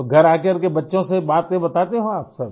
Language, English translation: Hindi, So, do you come home and tell your children about that